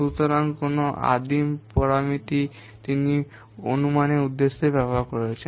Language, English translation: Bengali, So, what primitive program parameters he has used for the estimation purpose